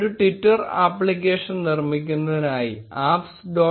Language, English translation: Malayalam, To create a twitter application go to apps